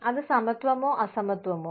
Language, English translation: Malayalam, Is it equality or equitability